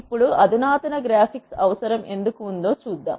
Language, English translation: Telugu, Now, let us see why there is a need for sophisticated graphics